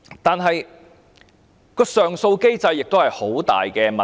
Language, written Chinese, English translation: Cantonese, 再者，上訴機制也存在很大的問題。, Moreover the appeal mechanism is problematic